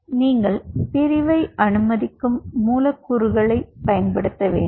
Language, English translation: Tamil, so you have to use molecules which allows the division, and then you have to